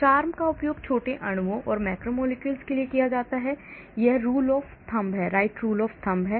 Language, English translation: Hindi, CHARMM is used for small molecules and macromolecules this is the rule of thumb